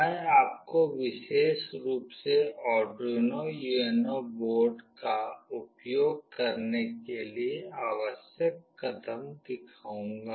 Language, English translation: Hindi, I will be specifically showing you the steps that are required to use Arduino UNO board